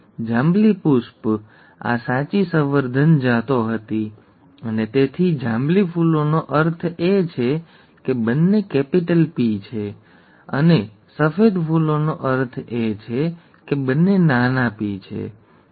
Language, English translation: Gujarati, The purple flower, these were true breeding the true breeding varieties and therefore the purple flowers means both are capital P, and the white flowers means both are small p, okay